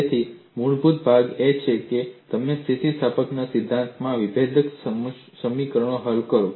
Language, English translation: Gujarati, So, the fundamental shift is, you solve differential equations in theory of elasticity